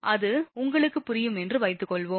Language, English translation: Tamil, Suppose it is understandable to you